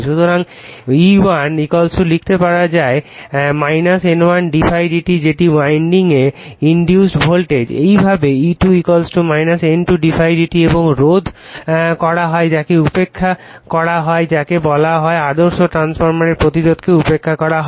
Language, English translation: Bengali, So, E1 = you can write minus N1 d∅ / d t that is the induced voltage in the winding, similarly E2 = minus N2 d∅ /dt and you are resist you are neglecting your what you call it is the ideal transformer your resistance is neglected